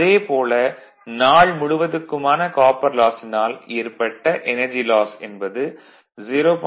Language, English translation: Tamil, Therefore, energy loss due to copper loss during the whole day you add 0